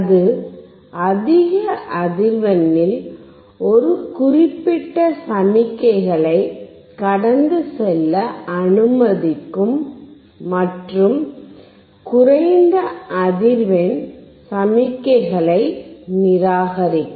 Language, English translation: Tamil, It will allow a certain set of signals at high frequency to pass and it will reject low frequency signals